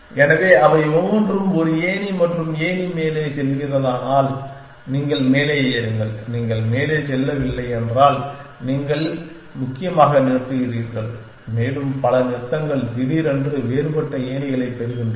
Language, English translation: Tamil, So, each of them is a ladder and if the ladder is going up you claim up if you does not going up you stop essentially and many stop suddenly get a different set of ladders